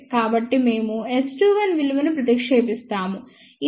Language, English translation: Telugu, So, we substitute the value of S 21 which is 2